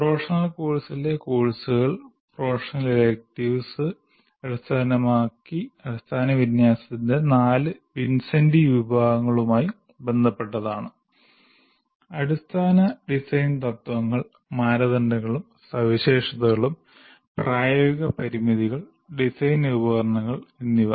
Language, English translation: Malayalam, Whereas courses belonging to professional course, core professional electives deal with the four general categories of knowledge and the four Vincenti categories of engineering knowledge including fundamental design principles, criteria and specifications, practical constraints and design instrumentalities